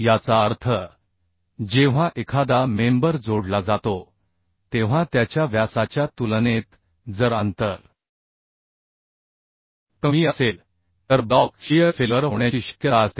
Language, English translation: Marathi, that means when a member is connected, then compared to its diameter, if spacing is less than chances of block shear, failure will be there